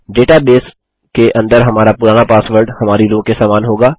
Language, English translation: Hindi, Our old password inside the database will be equal to our row